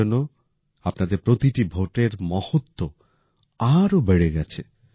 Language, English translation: Bengali, That is why, the importance of your vote has risen further